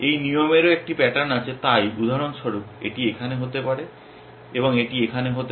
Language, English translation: Bengali, This rule also has a same pattern so, this one could be here for example, and this one could be here